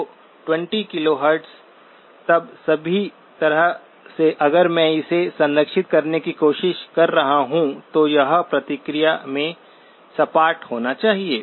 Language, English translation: Hindi, So all the way up to 20 KHz if that is what I am trying to preserve, it should be flat in response